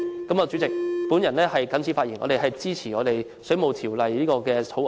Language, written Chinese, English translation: Cantonese, 代理主席，我謹此發言，我們支持《2017年水務設施條例草案》的修訂。, With these remarks Deputy President I support the amendments to the Waterworks Amendment Bill 2017